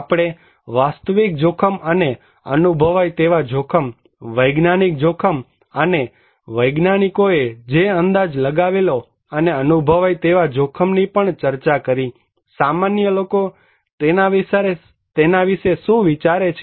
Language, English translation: Gujarati, We also discussed about objective risk and the perceived risk, scientific risk we have and what scientists estimate and the perceived risk; what laypeople think about